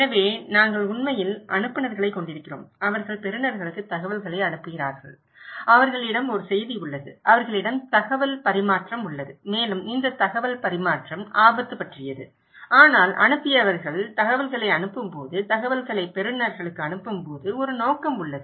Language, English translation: Tamil, So, we are actually we have senders and they are passing informations to the receivers and they have a message and they have exchange of informations and this exchange of information is about risk but when the senders passing the information, passing the information to the receivers, there is a motive